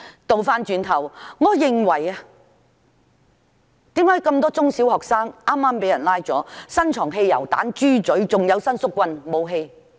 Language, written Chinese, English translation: Cantonese, 再者，為何有那麼多中小學生被捕後，會在他們身上搜出汽油彈和"豬嘴"，還有伸縮棍等武器？, Moreover why are petrol bombs breathing apparatus telescopic sticks and other weapons found on so many primary and secondary school students after their arrests?